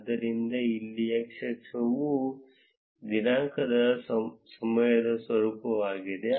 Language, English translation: Kannada, So, here x axis is the format of date time